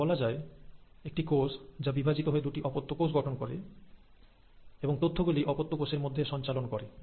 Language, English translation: Bengali, So let us say, this is the cell which has decided to divide into two daughter cells and pass on the information to its daughter cells